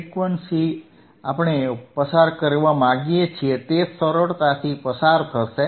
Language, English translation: Gujarati, Frequencies that we want to pass will easily pass